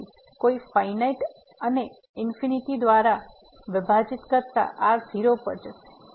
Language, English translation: Gujarati, So, something finite and divided by infinity this will go to